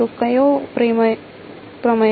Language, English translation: Gujarati, So which theorem